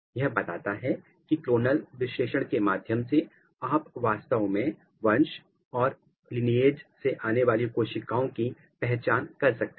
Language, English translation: Hindi, This tells that through the clonal analysis you can actually identify the lineage and the cells which are coming from the lineage